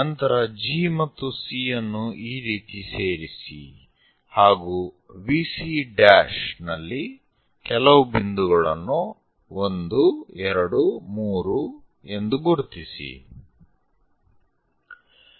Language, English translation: Kannada, Then, join G and C in that way then, mark few points 1, 2, 3 on VC prime